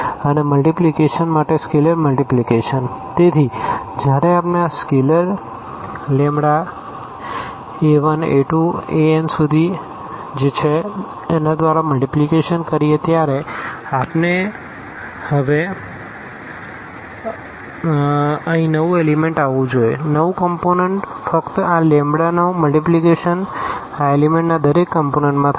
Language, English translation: Gujarati, And, for the multiplication the scalar multiplication so, when we multiply by this scalar lambda to this a 1, a 2, a 3, a n in that case we should get here now the new element will be just the multiplication of this lambda to each of the element of this element or this member of this set V and for all lambda from R